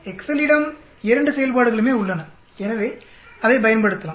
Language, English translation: Tamil, We have both functions available in an excel so we can make use of it